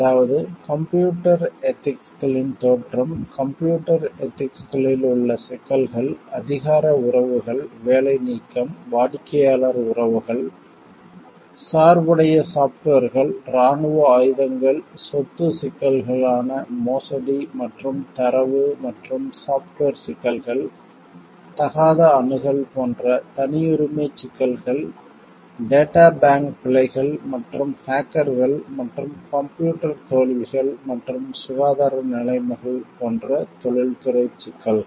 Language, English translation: Tamil, So, the module will cover, emergence of computer ethics, issues in computer ethics, power relationships, job elimination, customer relations, biased software s, military weapons, property issues like embezzlement and data and software issues, privacy issues like inappropriate access, databank errors and hackers and professional issues like computer failures and health conditions